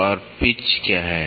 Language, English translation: Hindi, And what is pitch diameter